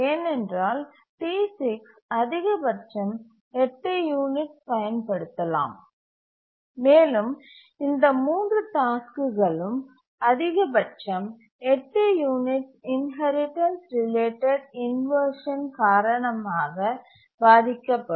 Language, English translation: Tamil, Because D6 can use at most for 8 units and these 3 tasks will suffer inheritance related inversion for at most 8 units